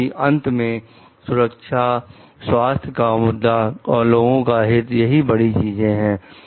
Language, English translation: Hindi, Because at the end of the day the safety, health issues and the well being of the public at large is major thing